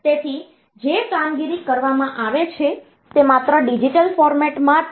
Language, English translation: Gujarati, So, operation that is done is in the digital format only